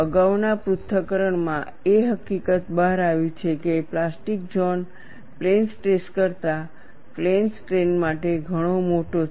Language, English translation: Gujarati, The previous analysis has brought out the fact that, the plastic zone is much larger for plane stress than plane strain